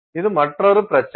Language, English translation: Tamil, So, this is another issue